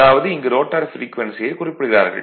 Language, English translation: Tamil, That means, it is your what you call rotor frequency that is that you have to find out